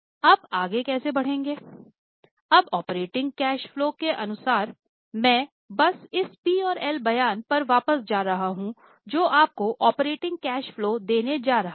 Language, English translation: Hindi, Now, as far as the operating cash flow is concerned, I am just going back, this P&L statement is what is going to give you operating cash flow